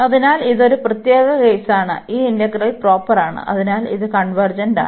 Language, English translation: Malayalam, So, for this case this is special case and this integral is proper and hence it is convergent